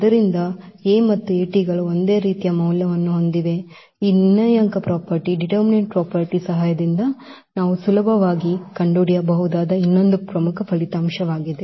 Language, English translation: Kannada, So, A and A transpose have same eigenvalue, so that is another important result which easily we can find out with the help of this determinant property